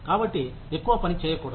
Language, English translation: Telugu, So, I should not work more